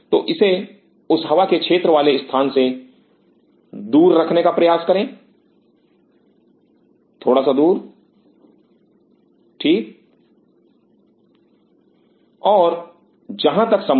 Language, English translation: Hindi, So, try to keep it away from that air current zone and as far as possible